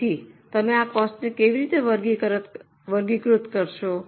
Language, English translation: Gujarati, So, how will you classify this cost